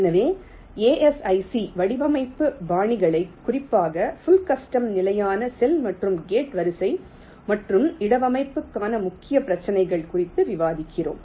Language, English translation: Tamil, so we discuss the asic design styles, in particular full customs, standard cell and gate array and the main issues involved there in for placement